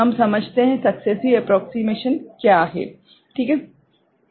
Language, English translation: Hindi, We understand, what is successive approximation is not it